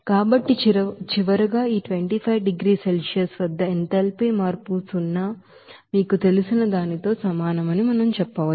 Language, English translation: Telugu, So finally, we can say that, at this 25 degrees Celsius, we can say that enthalpy change will be is equal to you know zero